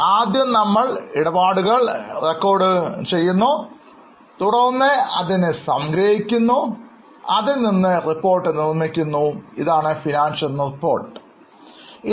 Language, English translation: Malayalam, First we record transactions, then we summarize and the reports which are available are known as financial transactions giving us the financial reports